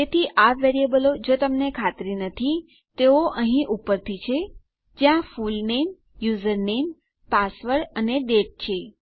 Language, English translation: Gujarati, So these variables here, if you are not so sure, are up from here, where we have our fullname, username, password and date